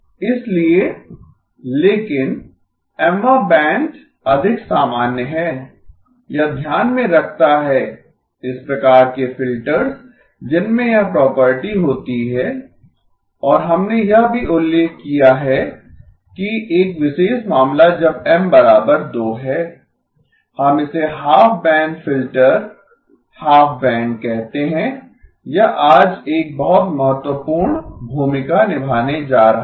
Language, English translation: Hindi, So but Mth band is more general, it takes into account these types of filters that have this property and we also mentioned that a special case is when M equal to 2, we call it a half band filter, half band, this is going to play a very important role today